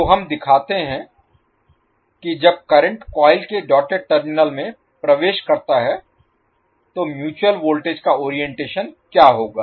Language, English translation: Hindi, So we show when the current enters the doted terminal of the coil how the mutual voltage would be oriented